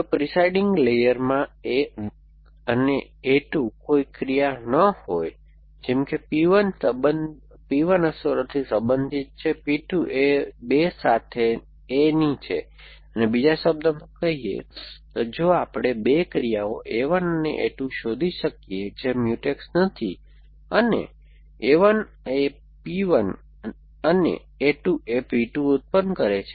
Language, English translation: Gujarati, If there is a no actions a 1 and a 2 in the presiding layer such that P 1 belongs to effects a P 2 belongs to of a with 2 and, in other words if we can find 2 actions a 1 and a 2 which are not Mutex and a 1 is producing P 1 and a 2 producing P 2